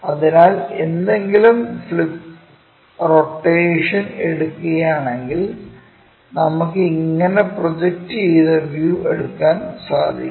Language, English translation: Malayalam, So, if we are taking any flip rotation about this thing we can rotate about this so that the projected view we will take it